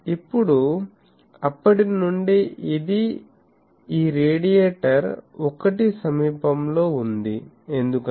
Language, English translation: Telugu, Now, since this is nearby this radiator 1, because this is a conductor